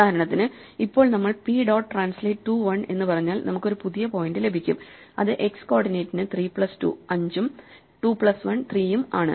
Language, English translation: Malayalam, For instance, now if we say p dot translate 2 1 then we get a new point which 3 plus 2 5 for the x coordinate and 2 plus 1 3, so this 3 plus 2 gives us 5, and 2 plus 1 gives us 3